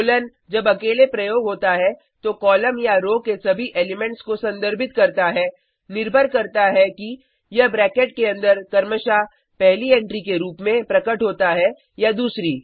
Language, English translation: Hindi, Colon, when used alone, refers to all the elements of row or column, depending upon whether it appears as a first or a second entry respectively inside the bracket